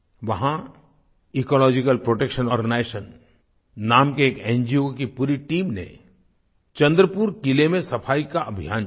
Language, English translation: Hindi, An NGO called Ecological Protection Organization launched a cleanliness campaign in Chandrapur Fort